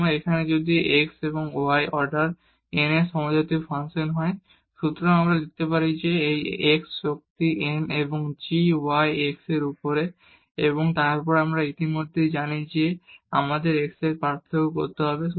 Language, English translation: Bengali, So, here if it is a homogeneous function of x and y of order n; so, we can write down that this x power n and g y over x and then we know already we have to differentiate with respect to x